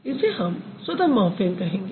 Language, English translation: Hindi, It would be considered as a free morphem